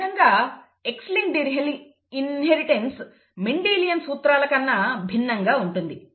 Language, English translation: Telugu, Thus X linked inheritance is different from inheritance by Mendelian principles